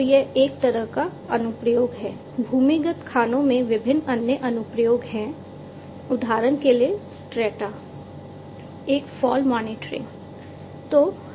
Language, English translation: Hindi, So, that is one application like this there are different other applications in underground mines for example, strata a fall monitoring